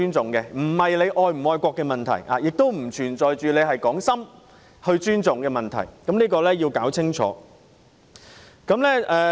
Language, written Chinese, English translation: Cantonese, 這並不涉及是否愛國的問題，也不存在是否打從心底尊重的問題，希望大家要分清楚。, This has nothing to do with whether one is patriotic or whether his respect really comes from his heart . I hope Members can clearly see the difference